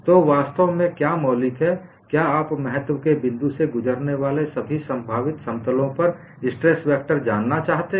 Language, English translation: Hindi, What is actually fundamental is you want to know the stress vector on all the possible planes passing through point of interest